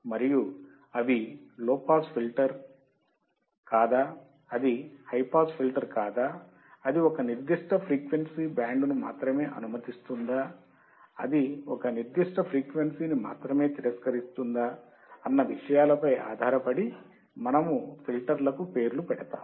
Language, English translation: Telugu, And also based on the frequency they are going to operating at whether it is a low pass filter, whether it is a high pass filter, whether it will only pass the band of frequency, whether it will only reject a particular frequency, so depending on that we name the filters as well